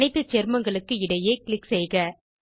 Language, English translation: Tamil, Click between all the compounds